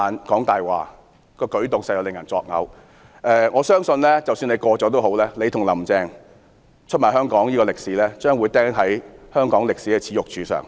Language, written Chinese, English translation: Cantonese, 即使《條例草案》獲得通過，我相信他與"林鄭"出賣香港一事將會釘在香港歷史的"耻辱柱"上。, Even if the Bill is passed I believe that he and Carrie LAMs betrayal of Hong Kong will be nailed to the Pillar of Shame in Hong Kongs history